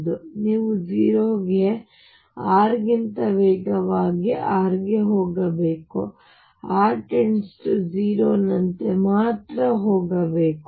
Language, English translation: Kannada, So, you should go to 0 as r tends to 0 faster than r or as r then only r would remain finite as r goes to 0